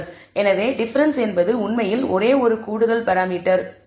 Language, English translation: Tamil, So, the difference actually means it is only one extra parameter